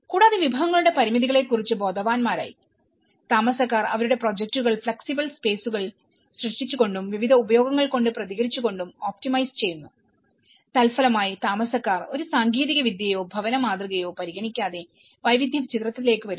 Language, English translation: Malayalam, And, conscious about the limitations of the resources, residents optimize their projects by creating flexible spaces and responding to various uses and as a result, residents have not considered one single technology or a housing model, there is a diversity come into the picture